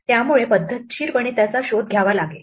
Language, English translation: Marathi, So, we have to systematically search for it